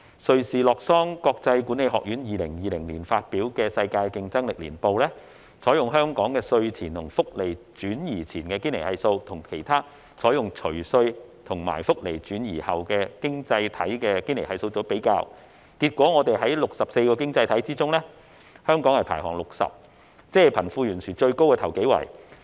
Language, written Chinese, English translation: Cantonese, 瑞士洛桑國際管理發展學院在2020年發表的《世界競爭力年報》，採用香港稅前和福利轉移前的堅尼系數，與其他經濟體採用除稅及福利轉移後的堅尼系數作比較，結果在64個經濟體系中，香港排行第六十位，即貧富懸殊最大的首幾位。, The World Competitiveness Yearbook 2020 published by the International Institute for Management Development in Lausanne of Switzerland compared the Gini Coefficient calculated based on the pre - tax and pre - social transfer income of Hong Kong to that calculated based on the post - tax and post - social transfer income of other economies . Hong Kong was ranked 60th among the 64 economies making it among the top several economies with the worst disparity between the rich and the poor